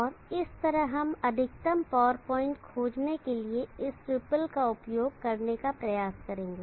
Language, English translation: Hindi, And that is how we will try to use this ripple to find the maximum power point